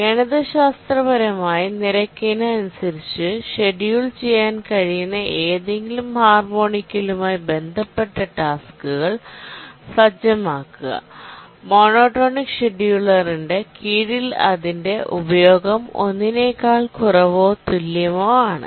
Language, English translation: Malayalam, Now let's through a simple mathematics, let's show that any harmonically related task set is schedulable under the rate monotonic scheduler as long as its utilization is less than or equal to one